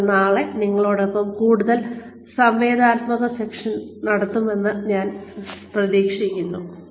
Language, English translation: Malayalam, And, I hope to have a more interactive session, with you tomorrow